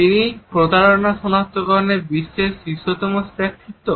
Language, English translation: Bengali, He is the world's foremost authority in deception detection